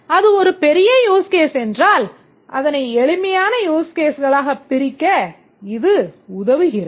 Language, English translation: Tamil, And if it is a large use case we can, it also helps us to split it into simpler use cases